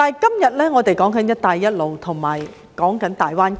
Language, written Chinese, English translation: Cantonese, 然而，我們今天有"一帶一路"和大灣區。, Nonetheless today we have the Belt and Road Initiative and the Greater Bay Area